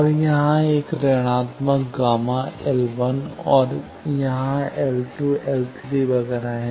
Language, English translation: Hindi, And here 1 minus sigma L 1 there are L 2, L 3 etcetera